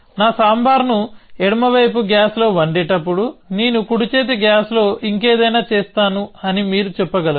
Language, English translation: Telugu, So, you can say that while my sambhar is being cooked on the left side gas, I will make something else in the right hand gas